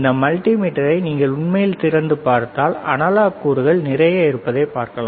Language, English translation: Tamil, If you see this multimeter if you really open it there is lot of analog components